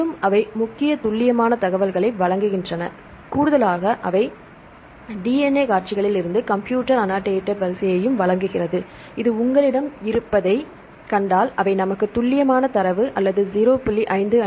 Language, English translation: Tamil, And they provide very accurate information, in addition, they also provide the computer annotated sequence from the DNA sequences this is the reason if you see it has the this is the manual accurate data is 0